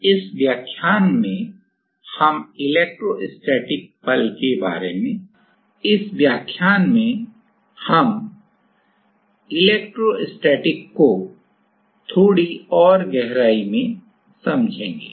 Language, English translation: Hindi, So, in this lecture we will go a little deeper in electrostatics